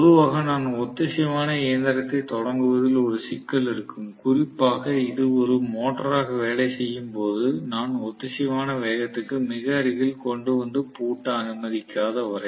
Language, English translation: Tamil, So, generally I am going to have definitely, you know a problem of starting in the synchronous machine, especially when it is working as a motor unless I kind of bring it very close to the synchronous speed and then allow it to lock up